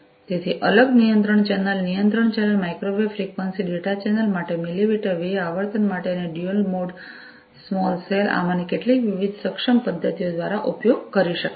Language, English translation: Gujarati, So, separate control channel control channel, for microwave frequency data channel, for the millimetre wave frequency, and dual mode small cell via some of these different enabling methods that could be used